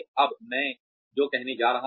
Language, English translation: Hindi, What I am going to say now